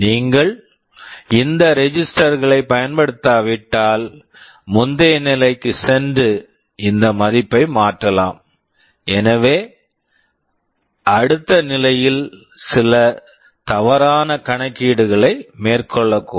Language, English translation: Tamil, If you do not use this registers, then the previous stage can go and modify this value, so the next stage might carry out some wrong computation because of that